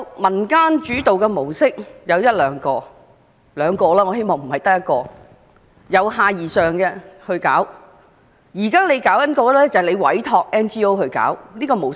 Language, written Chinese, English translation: Cantonese, 民間主導的模式也許有一兩種吧——我固然希望不只一種——而且是由下而上地進行的模式。, There should be one or two community - led models―I certainly hope that there will be more than one―which are bottom - up in nature